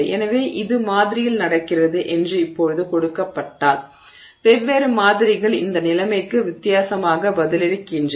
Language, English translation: Tamil, So, so, now, given that this is happening in the sample, different samples respond differently to this situation